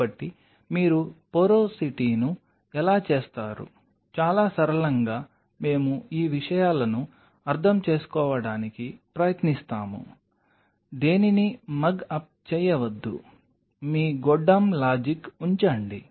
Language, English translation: Telugu, So, how do you do porosity very simply we try to understand these things do not mug up anything, just put your goddamn logic in place